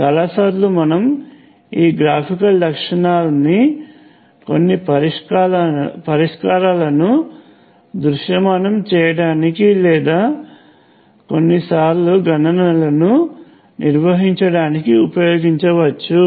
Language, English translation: Telugu, Many times we can use this graphical characteristic to either visualize intuitively some solutions or even sometimes carry out the calculations